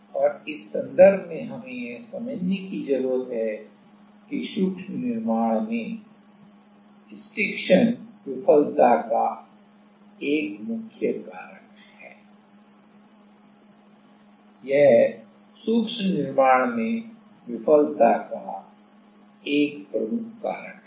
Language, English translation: Hindi, And, what we need to understand in this context is the stiction is a major failure mechanism in micro fabrication, this is a major failure mechanism in micro fabrication